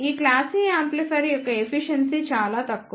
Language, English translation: Telugu, The efficiency of these class A amplifier is relatively low